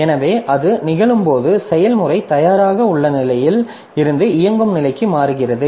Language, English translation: Tamil, So, when it happens the process makes a transition from ready state to the running state